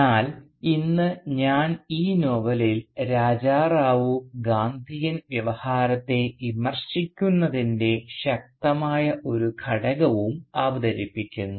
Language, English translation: Malayalam, But today I will argue that in this novel Raja Rao also introduces a strong element of criticism of the Gandhian Discourse